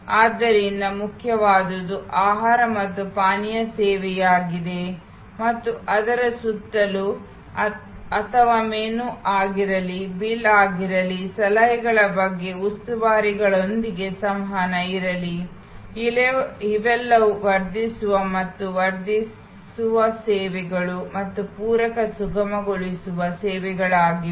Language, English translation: Kannada, So, the core is food and beverage service and around it or all these whether menu, whether the bill, whether the interaction with steward about suggestions, all those are the enhancing and augmenting services and supplementary facilitating services